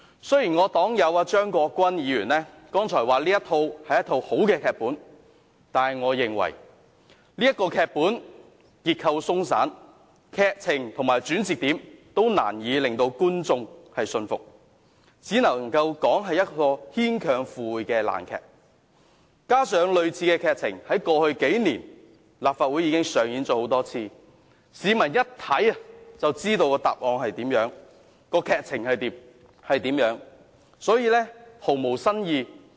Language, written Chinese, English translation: Cantonese, 雖然我的黨友張國鈞議員剛才說這是一個好的劇本，但我認為這劇本結構鬆散，劇情和轉折點均難以令觀眾信服，只能說是牽強附會的爛劇，加上類似的劇情在過去數年已經多次在立法會上演，市民一看便知道劇情如何，所以毫無新意。, Although my fellow party member Mr CHEUNG Kwok - kwan commented just now that it is a good drama script I consider the script loosely written . It can only be described as a rotten drama with far - fetched story lines and turning points which are not convincing to the viewing public at all . Moreover similar dramas have been put on the stage of this Council many times in the past few years and there is nothing new to the general public since they all know the story lines very well